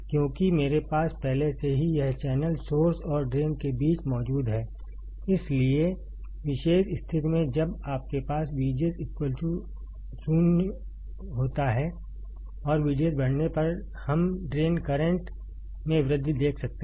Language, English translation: Hindi, Because I already have this channel present between source and drain; so, in particular condition when you have V G S equals to 0, when you have V G S equals to 0 and on increasing V D S, we can see increase in drain current